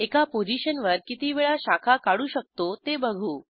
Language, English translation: Marathi, Lets see how many times we can branch at one position